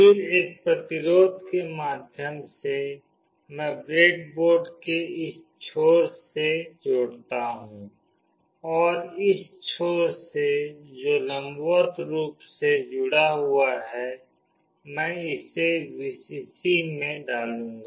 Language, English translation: Hindi, Then through a resistance, I connect to this end of the breadboard and from this end that is vertically connected, I will put it to Vcc